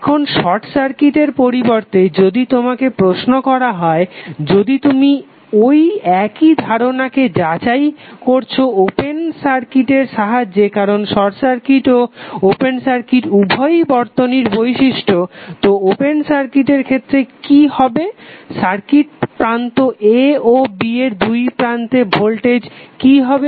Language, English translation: Bengali, Now, instead of short circuit suppose if you are asked, if you are verifying the same concept with the open circuit because short circuit and open circuit are both the characteristic of the circuit, so in case of open circuit what will happen what would be the open circuit voltage across a and b